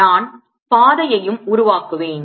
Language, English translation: Tamil, let me take the path also